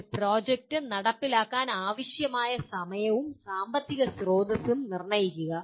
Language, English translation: Malayalam, Determine the time and financial resources required to implement a project